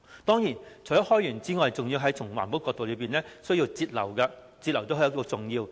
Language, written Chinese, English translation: Cantonese, 當然，除了開源之外，還要從環保的角度來節流，節流亦非常重要。, In addition to increasing local water supply capacity water conservation is also a key issue from the perspective of environmental protection